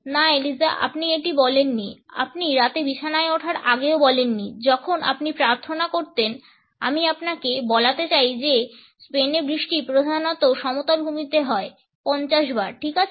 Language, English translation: Bengali, No Eliza you did not say that you did not even say that the ever night before you get in the bed where you use to say your prayers, I want you to say the rain in Spain stays mainly in the plane 50 times ok